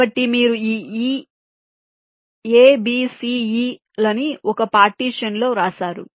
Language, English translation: Telugu, so you have written this: a, b, c, e in one partition